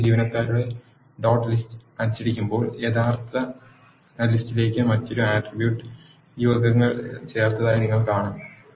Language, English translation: Malayalam, When you print this new employee dot list you will see that you have added another attribute ages to the original list